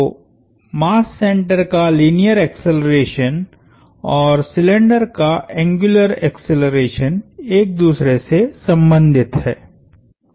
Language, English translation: Hindi, So, the linear acceleration of the mass center and the angular acceleration of the cylinder are related